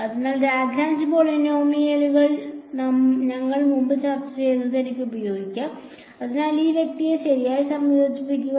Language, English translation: Malayalam, So, I can use what we have discussed earlier the Lagrange polynomials so integrate this guy out right